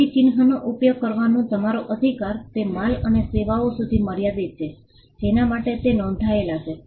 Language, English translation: Gujarati, So, your right to use the mark is confined to the goods and services for which it is registered